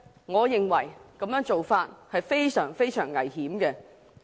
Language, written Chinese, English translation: Cantonese, 我認為這種做法非常危險。, In my view such an arrangement is very dangerous